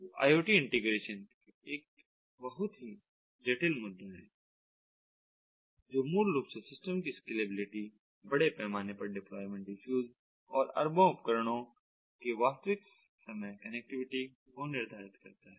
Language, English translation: Hindi, so iot integration ah is ah a very complex issue ah, which basically dictates the scalability of the system, large scale deployment issues ah and real time connectivity of billion centurions of devices